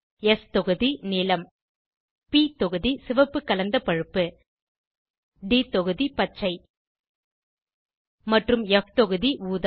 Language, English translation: Tamil, * s block – blue * p block – reddish brown * d block – green and * f block – Purple